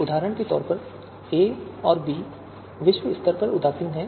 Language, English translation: Hindi, For example, a and b are globally indifferent